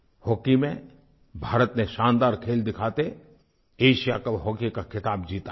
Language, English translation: Hindi, In hockey, India has won the Asia Cup hockey title through its dazzling performance